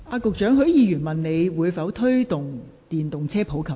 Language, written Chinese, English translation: Cantonese, 局長，許議員詢問當局會否推動電動車普及化。, Secretary Mr HUI asked whether the authorities would promote the popularization of EVs